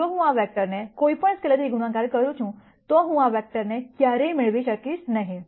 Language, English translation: Gujarati, If I multiply this vector by any scalar, I will never be able to get this vector